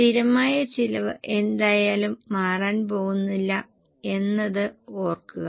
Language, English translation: Malayalam, Keep in mind that fixed cost is anyway not going to change